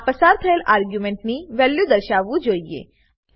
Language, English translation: Gujarati, It should display the value of the argument passed